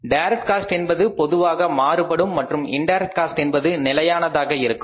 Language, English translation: Tamil, Direct cost is generally variable and indirect cost is fixed